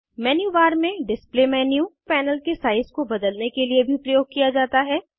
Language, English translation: Hindi, Display menu in the menu bar can also be used to change the size of the panel